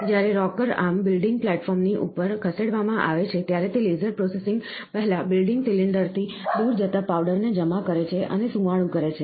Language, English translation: Gujarati, When the rocker arm is moved over top of the building platform, it deposits and smoothens the powder, moving away from the building cylinder prior to the laser processing